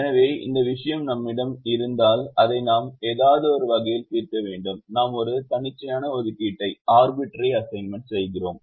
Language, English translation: Tamil, so if we have this thing that is happening, then we have to resolve it in some way and we make an arbitrary assignment